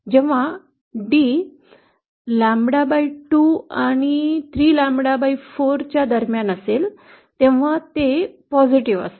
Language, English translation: Marathi, When d is between lambda/2 and 3lambda/4, it is positive